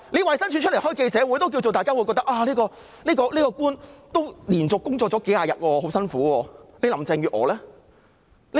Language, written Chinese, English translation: Cantonese, 衞生署舉行記者招待會，大家也認為這位官員連續工作數十天，很辛苦，但林鄭月娥呢？, The Department of Health DoH also holds a daily press conference . People sympathize with the DoH public officer who has worked laboriously without any stop for a couple of weeks